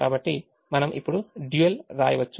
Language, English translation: Telugu, so we can now write the dual